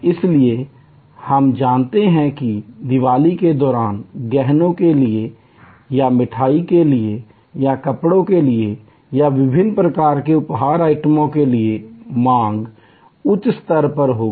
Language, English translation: Hindi, So, we know that during Diwali there will be a higher level of demand for jewelry or for sweets or for clothing or for different types of gift items